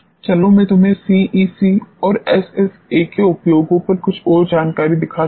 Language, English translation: Hindi, Let me show you some more information on the application of CE CA and SSA